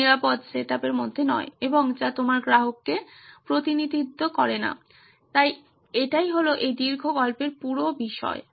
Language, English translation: Bengali, Not in a very safe setup in and which does not represent what your customer is, so that is the whole point of this long story